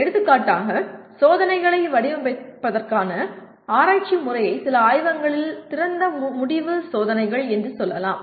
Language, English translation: Tamil, For example research method of design of experiments can be experienced through let us say open ended experiments in some laboratories